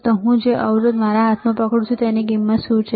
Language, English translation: Gujarati, Now, what is the value of the resistor that I am holding in my hand